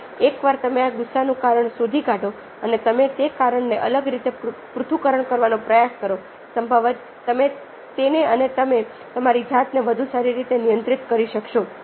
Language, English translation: Gujarati, now, once you find the cause of this anger and you try to analyse that cause in a detached way, probably you able to master that and you do able to self regulative better